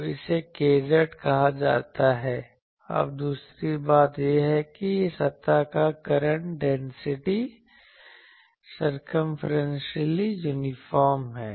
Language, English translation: Hindi, So, it is called k z that, now the second thing is this surface current density k z is circumferentially uniform